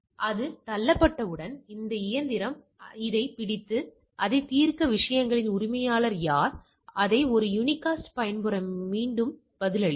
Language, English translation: Tamil, So, once that is pushed, this fellow reads this and responds back resolve it whoever is the owner of the things resolved it in a unicast mode